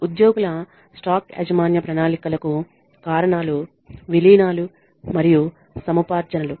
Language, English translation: Telugu, The reasons for employee stock ownership plans are mergers and acquisitions